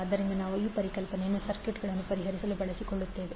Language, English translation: Kannada, So we will utilize this concept to solve the circuit